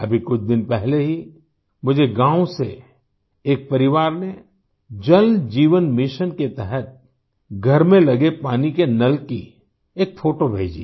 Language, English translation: Hindi, Just a few days ago, a family from a village sent me a photo of the water tap installed in their house under the 'Jal Jeevan Mission'